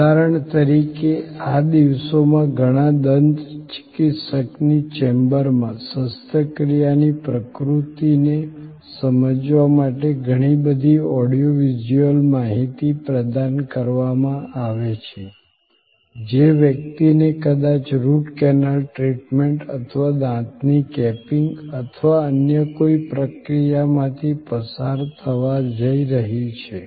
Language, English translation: Gujarati, Like for example, these days in many dentist chambers, lot of audio visual information are provided to explain the nature of the surgery, the person is going to go through like maybe Root Canal Treatment or capping of the teeth or some other procedure